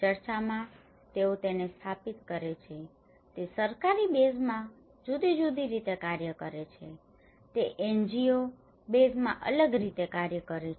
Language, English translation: Gujarati, In church, they set up it acts differently in a government base set up it act differently, in a NGO base set up it acts differently